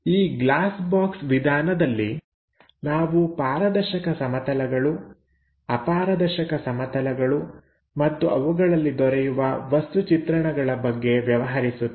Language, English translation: Kannada, This glass box method is to deal with our transparent planes, opaque planes and their projections